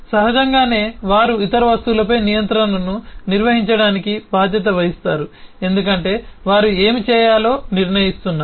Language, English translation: Telugu, naturally they are responsible for handling control to other objects because they are deciding what needs to be done